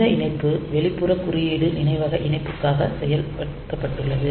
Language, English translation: Tamil, So, this how this connection is done like external code memory so for external code memory connection